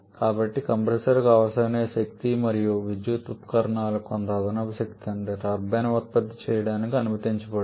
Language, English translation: Telugu, So, whatever is the power required by the compressor plus some additional power for the electrical accessories that is what the turbine is allowed to produce